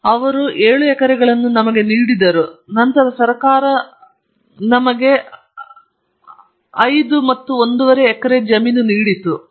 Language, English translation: Kannada, And he gave me seven acres then the government changed they gave me another five and half acres